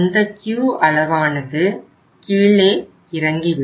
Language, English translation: Tamil, That Q level will go down